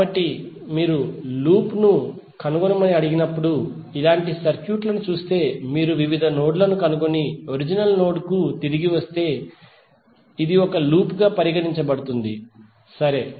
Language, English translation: Telugu, So that means if you see the circuit like this when you are ask to find out the loop, it means that if you trace out various nodes and come back to the original node then this will consider to be one loop, right